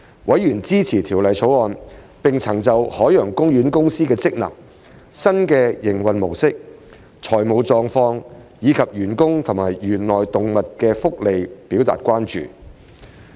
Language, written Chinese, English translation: Cantonese, 委員支持《條例草案》，並曾就海洋公園公司的職能、新營運模式、財務狀況，以及員工和園內動物的福利表達關注。, Members support the Bill and have expressed concerns about the functions new mode of operation and financial position of OPC as well as the welfare of its staff and animals in the park